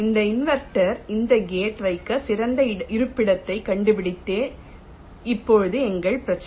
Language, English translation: Tamil, now our problem is to find out the best location to place this in invert at this gate